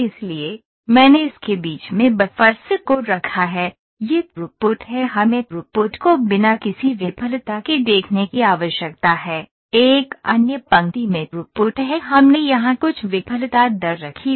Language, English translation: Hindi, So, a backup buffers in between, this is throughput we need to see throughput with no failure another line is throughput we have put some failure rates here ok